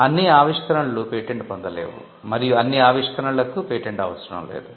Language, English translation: Telugu, So, not all inventions are patentable, and not all inventions need patents